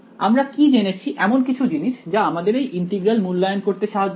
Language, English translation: Bengali, Do we have; have we learned anything already which helps us to evaluate these integrals